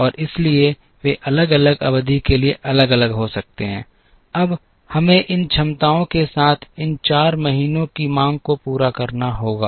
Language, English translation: Hindi, And therefore, they can be different for different periods, now we have to meet the demand of these 4 months with these capacities